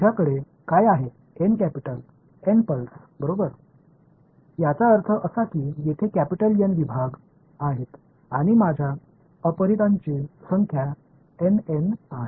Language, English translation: Marathi, What I have N capital N pulses right; that means, there are capital N segments over here and my number of unknowns are N N